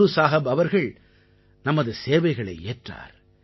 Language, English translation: Tamil, Guru Sahib awarded us the opportunity to serve